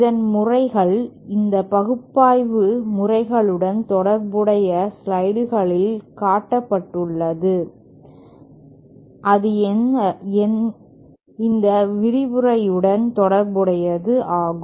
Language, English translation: Tamil, The methods have been shown in the slides associated with this analysis methods have been shown in the slides associated with this lecture